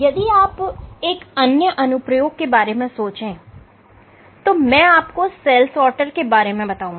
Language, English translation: Hindi, If you think of another application I will talk about a cell sorter